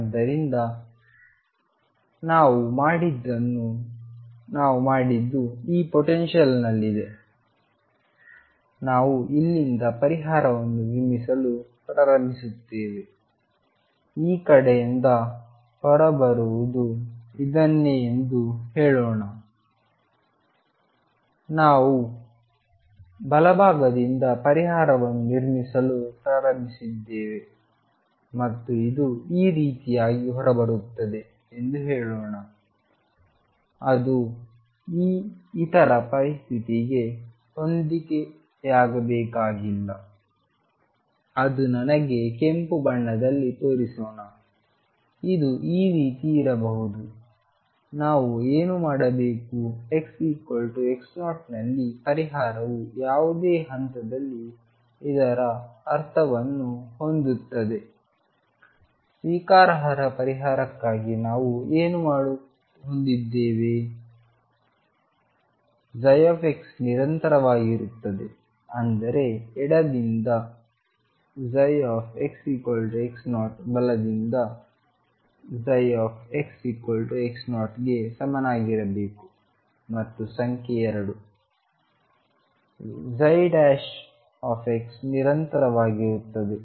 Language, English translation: Kannada, So, what I have we done what we have done is in this potential, we will started a building up a solution from here, let us say this is what comes out from this side and we started building up the solution from the right side and let us say this comes out like this it need not match the other situation could be that let me show it in red this fellow could be like this what we should do is at x equals x naught the solution should match what does that mean at any point what do we have for the acceptable solution psi x is continuous; that means, psi x equals x 0 from left should be equal to psi x equals x 0 from right and number 2 psi prime x is continuous